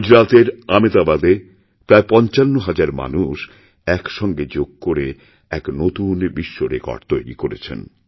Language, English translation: Bengali, In Ahmedabad in Gujarat, around 55 thousand people performed Yoga together and created a new world record